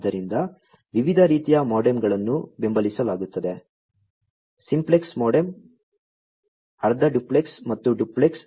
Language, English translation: Kannada, So, there are different types of MODEMs that are supported; simplex modem, half duplex, and duplex